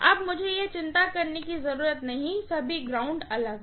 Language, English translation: Hindi, Now, I do not have to worry, all the grounds are separate, right